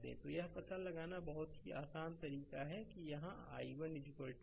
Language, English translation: Hindi, So, this way of you find out very simple here i 1 is equal to right